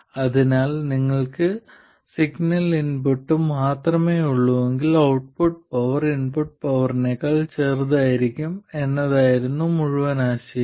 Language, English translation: Malayalam, So the whole idea was if you have only the signal input, the output power will be smaller than the input power